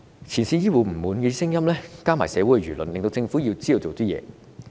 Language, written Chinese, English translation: Cantonese, 前線醫護人員的不滿聲音加上社會輿論，令政府知道要做些事。, In the face of the discontents of frontline health care personnel and public opinions the Government realized that it has to do something